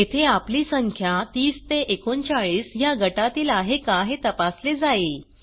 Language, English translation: Marathi, Here we check whether the number is in the range of 30 39